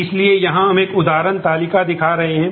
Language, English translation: Hindi, So, here we are showing an example table